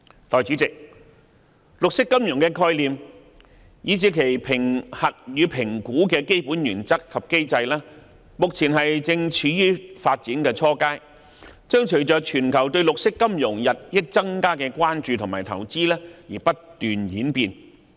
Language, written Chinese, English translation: Cantonese, 代理主席，綠色金融的概念以至其評核與評估的基本原則及機制，目前正處於發展初階，將隨着全球對綠色金融日益增加的關注和投資而不斷演變。, Deputy President the concept of green finance as well as the underlying principles and mechanisms for assessment and evaluation is at the nascent stage of development and will keep on evolving as it attracts more public attention and increased investment from around the world